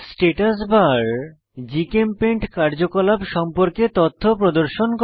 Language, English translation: Bengali, Statusbar displays information about current GChemPaint activity